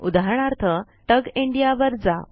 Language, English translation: Marathi, For example, contact TUG India